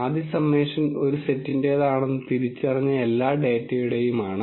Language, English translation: Malayalam, The first summation is for all the data that has been identified to belong to a set